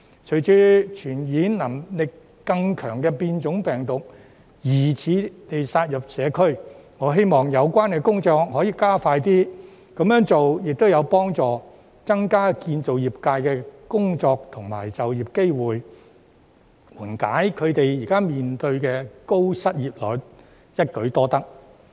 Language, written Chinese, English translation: Cantonese, 隨着傳染能力更強的變種病毒疑似殺入社區，我希望有關工作可以加快，這樣做亦會有助增加建造業界的工作和就業機會，緩解他們現時面對的高失業率，實在一舉多得。, With the suspected spread of more infectious mutant strains in the community I hope that the relevant work can be expedited . This will also help increase jobs and employment opportunities in the construction industry and ameliorate the high unemployment rate in the industry thereby achieving multi - faceted effect